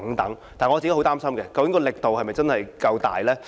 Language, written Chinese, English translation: Cantonese, 但是，我很擔心究竟力度是否真的足夠呢？, However I am very much concerned about whether such efforts are robust enough?